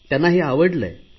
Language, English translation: Marathi, People like it